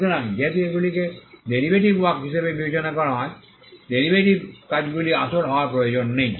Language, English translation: Bengali, So, because they are regarded as derivative works derivative works do not need to be original